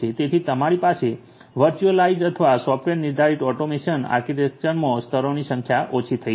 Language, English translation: Gujarati, So, you are going to have reduced number of layers in the virtualized or software defined automation architecture